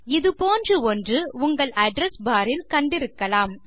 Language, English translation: Tamil, Something similar may have appeared in your address bar